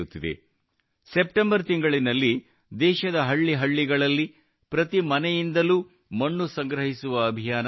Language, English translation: Kannada, In the month of September, there will be a campaign to collect soil from every house in every village of the country